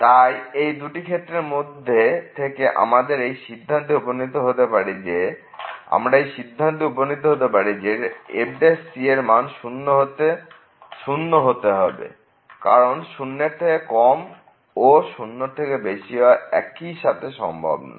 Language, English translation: Bengali, So, out of these two we conclude that the prime has to be because it cannot be less than equal to or greater than equal to at the same time